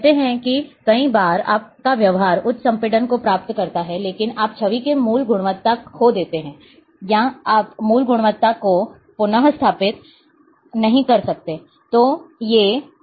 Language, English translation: Hindi, Say many times there is trade of you achieve high compression, and a, but you lose the original quality of the image, or you cannot restore to the original quality